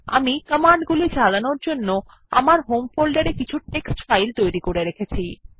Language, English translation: Bengali, I have already created some text files in my home directory to execute the commands